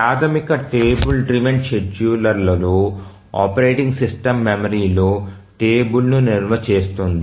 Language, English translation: Telugu, In the basic travel driven scheduler we have the operating system stores a table in the memory